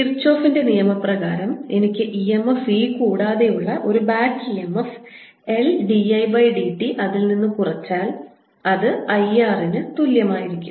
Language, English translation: Malayalam, so by kirchhoff's rule, i have this e m f, e and a back e m f, l, d i d, t, and this should equal i r